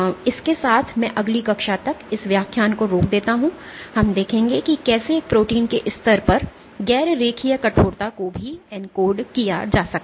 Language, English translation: Hindi, With that I stop this lecture in the next class we will see how non linear stiffening can also be encoded at the level of a single protein